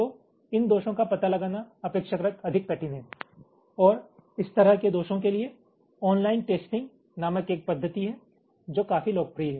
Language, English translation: Hindi, so these faults are relatively much more difficult to detect and for this kind of faults there is a methodology called online testing, which is quite popular